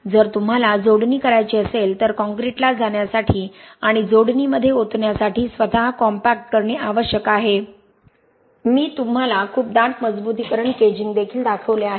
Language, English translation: Marathi, If you have to do connections the concrete has to be self compacting to go and be poured into connections, I also showed you very dense reinforcement caging